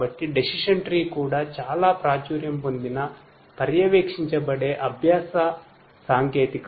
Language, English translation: Telugu, So, decision tree is also a very popular supervised learning technique